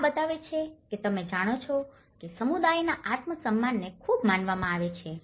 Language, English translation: Gujarati, This shows that you know the community’s self esteem has been considered very much